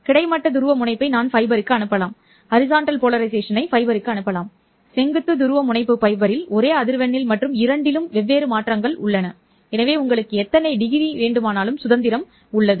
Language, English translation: Tamil, I can transmit the horizontal polarization into the fiber, vertical polarization into the fiber, both at the same frequency and have different modulations on both of them